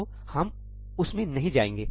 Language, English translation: Hindi, we will not get into that